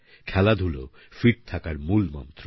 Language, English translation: Bengali, Sports & games is the key to keeping fit